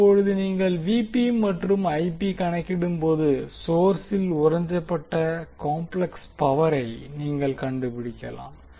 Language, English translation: Tamil, Now when you have Vp and Ip calculated, you can find out the complex power absorbed at the source